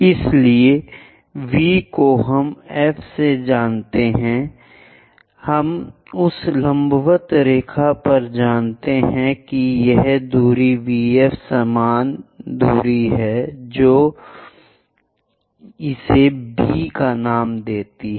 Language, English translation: Hindi, So, V we know F we know on that perpendicular line what is this distance V F equal distance move it name it as B